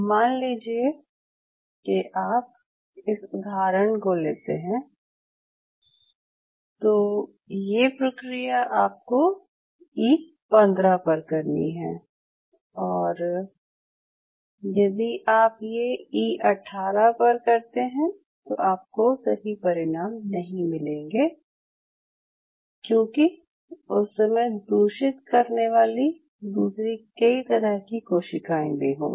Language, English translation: Hindi, But say for example if somebody uses this paradigm which is supposed to be followed at E15, you try to use it at E 18 it is just not going to work I mean you will get a lot of contaminating other cell types right